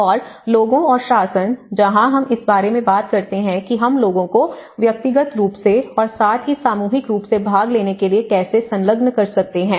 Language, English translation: Hindi, And the people and governance, where we talk about how we can engage the people to participate individually and as well as collectively